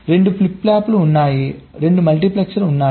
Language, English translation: Telugu, there are two flip flops, there are two multiplexors